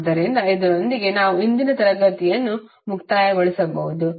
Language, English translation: Kannada, So, with this we can conclude the today’s session